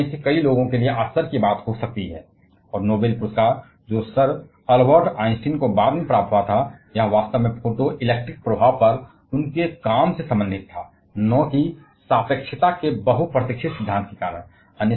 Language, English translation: Hindi, It may be a surprise to many of you, and the Noble prize that sir Albert Einstein received later on was actually related to his work on photo electric effect and not because of the much celebrated theory of relativity